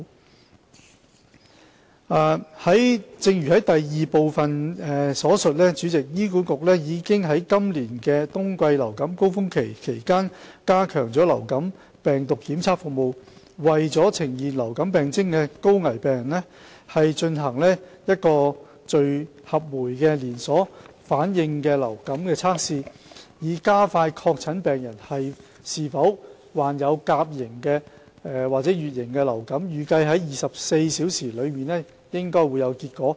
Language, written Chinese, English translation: Cantonese, 主席，正如第二部分所述，醫管局已於今年冬季流感高峰期期間加強流感病毒檢測服務，為呈現流感病徵的高危病人進行聚合酶連鎖反應流感測試，以加快確診病人是否患有甲型或乙型流感，預計24小時內應有結果。, President as mentioned in part 2 HA has enhanced the virology service for influenza during the winter surge this year . Polymerase chain reaction test is conducted for all high - risk patients having symptoms of influenza to expedite diagnosis of influenza A or B virus infections where test results will be available within 24 hours